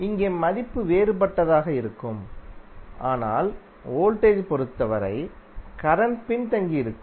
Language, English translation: Tamil, So here the value would be different but the current would be lagging with respect to voltage